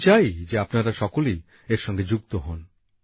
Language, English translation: Bengali, I want you all to be associated with this